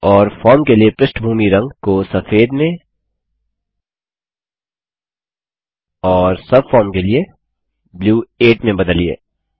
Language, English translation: Hindi, And change the background color to white for the form and Blue 8 for the subform